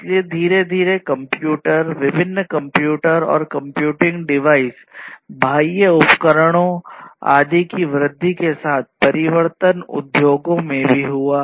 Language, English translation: Hindi, So, gradually with the increase of computers, different, different computers, and computing devices peripherals, etc, the transformation in the industries also happened